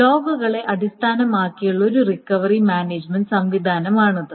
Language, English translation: Malayalam, This is a recovery management system based on logs